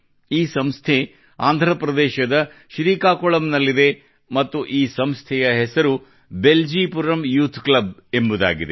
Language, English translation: Kannada, This institution is in Srikakulam, Andhra Pradesh and its name is 'Beljipuram Youth Club'